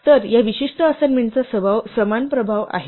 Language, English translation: Marathi, So, this has the same effect this particular assignment